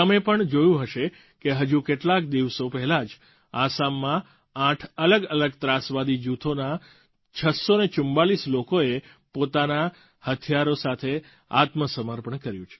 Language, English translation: Gujarati, You might also have seen it in the news, that a few days ago, 644 militants pertaining to 8 different militant groups, surrendered with their weapons